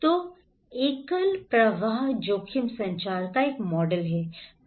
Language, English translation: Hindi, So, a model of single flow risk communications is that